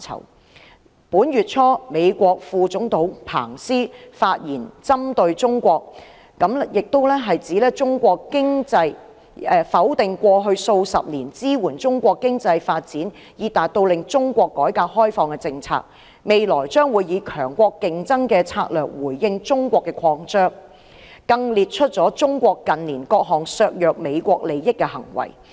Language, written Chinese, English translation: Cantonese, 在本月初，美國副總統彭斯發言針對中國，否定過去數十年支援中國經濟發展以達到令中國改革開放的政策，未來將以強國競爭的策略回應中國擴張，更列出中國近年各項削弱美國利益的行為。, He declared that the United States would no longer adopt the policy implemented over the past several decades to support Chinas economic development so that its policy on reform and opening up could be attained . In future the United States would adopt the strategy of great power competition to respond to Chinas expansion . Michael PENCE also listed out the various acts taken by China in recent years to weaken the interests of the United States